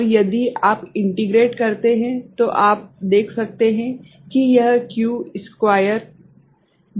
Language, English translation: Hindi, And if you integrate, then you can see that it is q square by 12